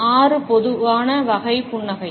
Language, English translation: Tamil, Six most common types of smile